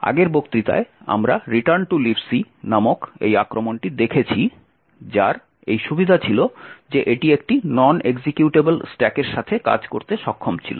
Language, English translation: Bengali, In the previous lecture we had looked at this attack call return to libc which had the advantage that it could work with a non executable stack